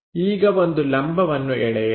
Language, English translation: Kannada, Now draw a perpendicular line